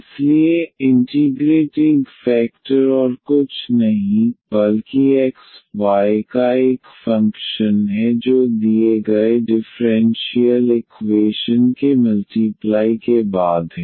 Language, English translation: Hindi, So, integrating factor is nothing but a function of x, y after multiplication to the given differential equation